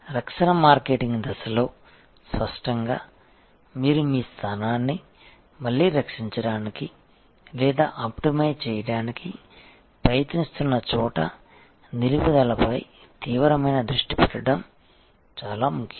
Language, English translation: Telugu, In the defensive marketing stage; obviously, where you are trying to protect or optimize your position again it is absolutely important to have a keen focus on retention